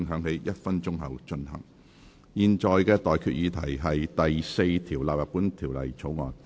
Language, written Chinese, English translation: Cantonese, 我現在向各位提出的待決議題是：第4條納入本條例草案。, I now put the question to you and that is That clause 4 stand part of the Bill